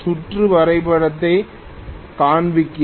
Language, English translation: Tamil, Let me show the circuit diagram also